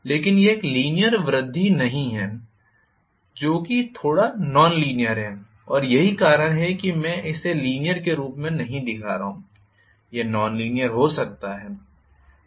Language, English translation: Hindi, But it is not a linear increase that is a little non linear and that is why I am not showing this as linear it may be non linear